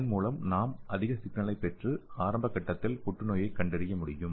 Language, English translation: Tamil, So that we can get more signal and we can detect the cancer in the early stage